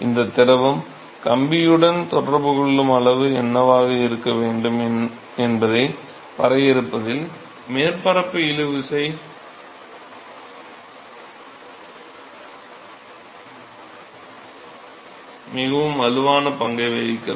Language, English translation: Tamil, So, it is the surface tension plays a very strong role in actually defining what should be the extent of contact of this fluid with the wire